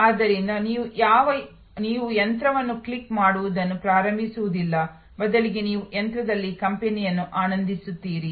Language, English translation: Kannada, So, that you do not start clicking the machine you rather actually enjoying the company on the machine